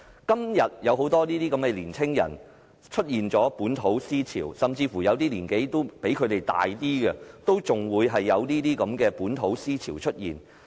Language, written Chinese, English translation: Cantonese, 今天有很多年輕人出現本土思潮，甚至有部分較年長的人，也出現這種本土思潮。, Today the ideology of localism has emerged among young people and even among some people who are senior in age